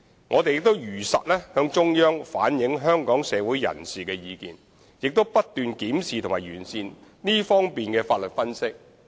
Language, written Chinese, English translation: Cantonese, 我們更會如實向中央反映香港社會各界的意見，並不斷檢視和完善這方面的法律分析。, We will also truthfully reflect the views of various social sectors to the Central Authorities and will keep examining and improving our legal analyses in this respect